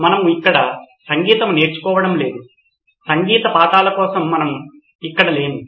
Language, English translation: Telugu, No we are not learning music here, we are not here for music lessons